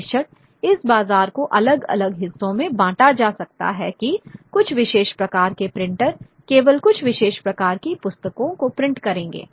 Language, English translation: Hindi, Of course this market could also be segregated that certain kind of printers would print only certain kind of books